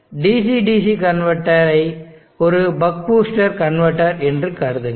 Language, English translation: Tamil, Consider the DC DC convertor is a buck boost converter